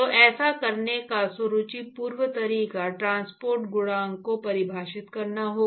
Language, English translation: Hindi, So, elegant way to do would be to define something called a transport coefficient